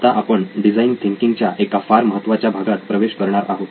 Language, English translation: Marathi, Now we are going into a very, very important part of design thinking